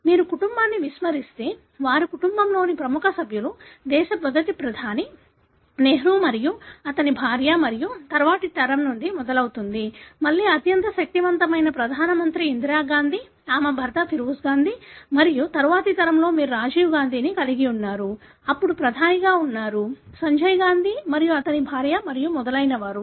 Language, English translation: Telugu, If you expand the family they are, these are the very prominent members of the family; starts from the first Prime Minister of the country, Nehru and his wife and next generation, again the most powerful Prime Minister Indira Gandhi, her husband Feroze Gandhi and in the next generation of course you have Rajiv Gandhi who was then a Prime Minister, Sanjay Gandhi and his wife and so on